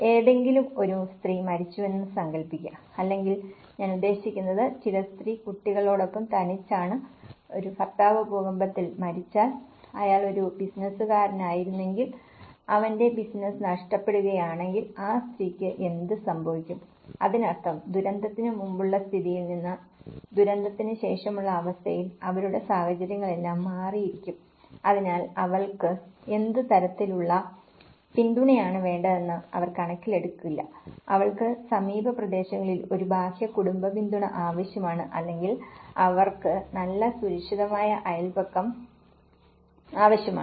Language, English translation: Malayalam, Just imagine some woman have died or I mean, some woman is left alone with her children and if a husband was died in an earthquake, if he was a businessman and his business was lost so, what happens to the woman so, which means a situation have changed from before disaster to the post disaster, so they will not take an account what kind of support she needs, she needs an external family support in the nearby vicinity areas or she needs a good safe neighbourhood